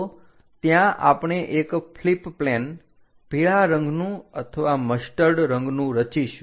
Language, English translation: Gujarati, So, that we are going to construct flip plane as that the yellow one or the mustard color